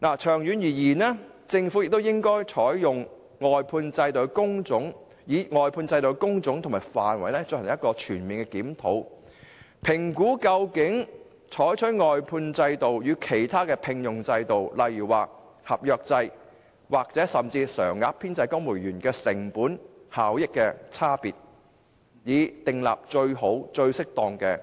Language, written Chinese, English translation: Cantonese, 長遠而言，政府應就外判制度的工種和範圍進行全面檢討，評估採用外判制度與其他聘用制度，例如合約制或甚至公務員常額編制，在成本效益上的差異，以訂立最好、最適當的僱傭制度。, In the long term the Government should conduct a comprehensive review of the types and scope of work under the outsourcing system and assess the difference in cost - effectiveness between the outsourcing system and other appointment systems for example appointment on contract terms or even in the civil service permanent establishment with a view to establishing the best and the most suitable employment system